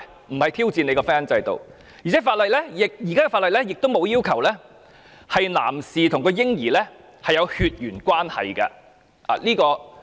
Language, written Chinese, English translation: Cantonese, 我們並非挑戰婚姻制度，而且現行法例亦沒有要求男士需要與嬰兒有血緣關係。, We are not mounting a challenge against the marriage system but the existing law does not require that the male partner must be genetically related to the baby